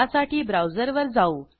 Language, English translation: Marathi, Now, come to the browser